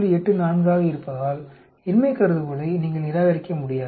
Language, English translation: Tamil, 84 so you cannot reject the null hypothesis